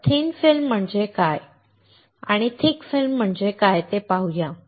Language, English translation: Marathi, So, let us see what is thin film and what is a thick film